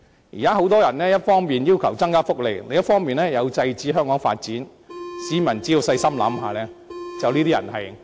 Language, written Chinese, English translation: Cantonese, 現時有很多人一方面要求增加福利，另一方面又要制止香港進行發展，市民只要細心想一想，便可知道這些人其實是在"搵笨"。, There are people asking for the provision of more social benefits on the one hand and trying to stop Hong Kong from making further development on the other . On deeper thought it will not be difficult for us to realize that they are actually trying to make a fool of us